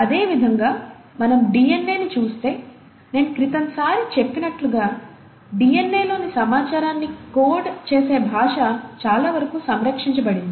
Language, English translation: Telugu, Similarly, if we were to look at the DNA, as I mentioned last time also, as far as the language which codes the information in DNA has been fairly conserved